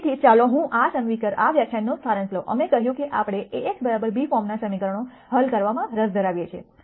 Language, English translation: Gujarati, So, let me summarize this lecture, we said we are interested in solving equations of the form A x equal to b